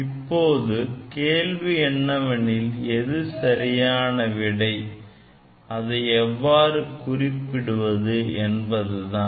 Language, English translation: Tamil, Now, question is which one is correct; which one is correct and how to write the answer